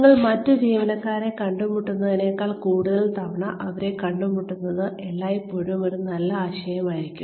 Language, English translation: Malayalam, It will always be a good idea, to meet them more often, than you would meet the other employees